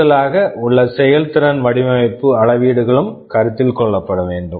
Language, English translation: Tamil, And in addition you have some performance design metrics that also need to be considered